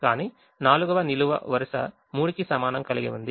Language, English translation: Telugu, but the fourth column has column minimum equal to three